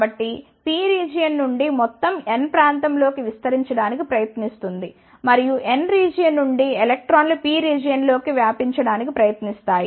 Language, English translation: Telugu, So, whole from the P region will try to diffuse into the N region and electrons from the N region will try to diffuse into the P region